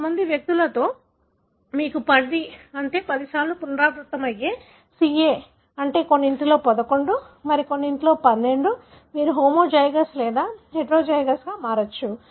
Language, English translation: Telugu, In certain individuals you may have an allele which is 10, , meaning 10 times repeated CA, in some it is 11, some it is 12, it varies depending on you may be homozygous or heterozygous